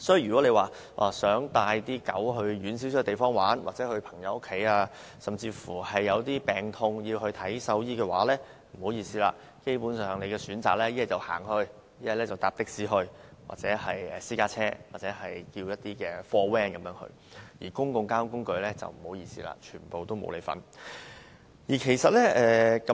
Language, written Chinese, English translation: Cantonese, 如果大家想帶狗隻到較遠的地方玩耍，又或到朋友家中，甚至有病時帶牠看獸醫，不好意思，基本上狗主只能步行前往，或乘搭的士、私家車或小型貨車，至於乘搭公共交通工具，不好意思，全部不可以。, If dog owners wish to take their dog to a farther place for fun or go to a friends home or even to see a veterinarian when the dog is ill basically they can only travel on foot or they can take a taxi travel by a private car or minivan . If they wish to travel on public transport sorry it is not allowed